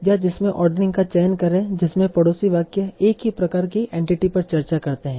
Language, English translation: Hindi, Or choose ordering in which the neighboring sentence is discuss the same sort of entity